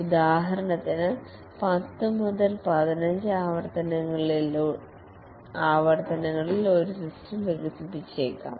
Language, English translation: Malayalam, For example, a system may get developed over 10 to 15 iterations